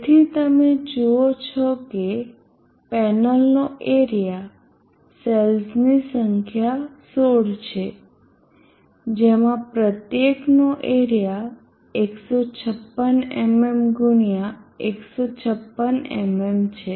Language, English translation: Gujarati, So you see the area of the panel is 16 numbers of the cells each having 156 mm x 156 mm area so let us convert them to meters so it is 16 x 0